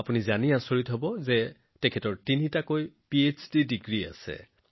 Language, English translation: Assamese, You will be surprised to know that he also has three PhD degrees